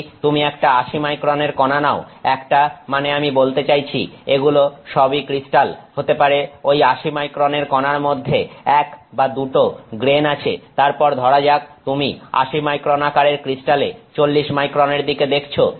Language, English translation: Bengali, If you take an 80 micron particle it is a single I mean they are all crystals, maybe just a 1 or 2 grains inside that 80 micron particle, then you are looking at say 40 micron 80 micron crystal size